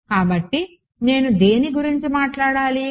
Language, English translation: Telugu, So, what do I need to talk about